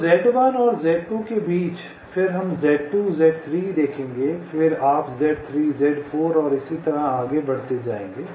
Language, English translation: Hindi, so between z one and z two, then we will see z two, z three, then you will see z three, z four and so on